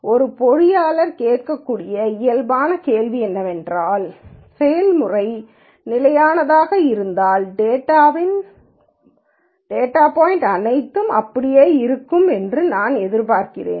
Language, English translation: Tamil, Then a natural question an engineer might ask is if the process is stable I would expect all of the data points to be like